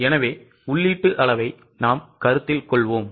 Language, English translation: Tamil, So, we will consider the input quantity